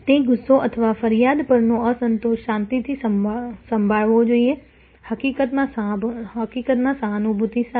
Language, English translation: Gujarati, That anger or that dissatisfaction at the complaint should be handle calmly, matter of fact with empathy